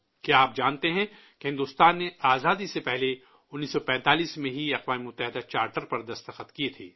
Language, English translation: Urdu, Do you know that India had signed the Charter of the United Nations in 1945 prior to independence